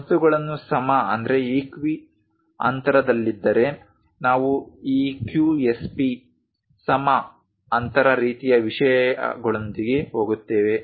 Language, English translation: Kannada, If things are equi spaced we go with EQSP equi space kind of things